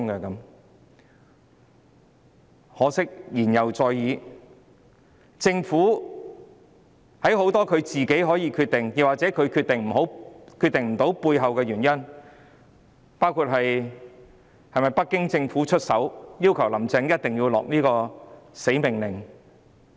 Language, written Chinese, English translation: Cantonese, 很可惜，言猶在耳，政府其實有很多事情可以自行決定，但它卻決定不到，背後原因是否北京政府曾經出手，要求"林鄭"一定要下這道命令？, Regrettably despite such advice the Government failed to make to its own decision though there were actually a lot of things which it could decide on its own . What was the reason behind? . Was it because Beijing had stepped in and demanded that Carrie LAM should give such an order?